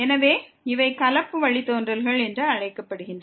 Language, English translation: Tamil, So, these are called the mixed derivatives